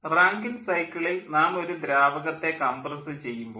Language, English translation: Malayalam, in rankine cycle we compress a liquid